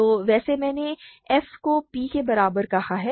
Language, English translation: Hindi, So, by the way I have called f equal to p